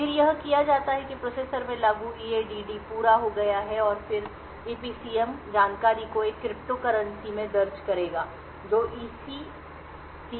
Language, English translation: Hindi, Then done is that EADD completed implemented in the processor will then record EPCM information in a crypto log that is stored in the SECS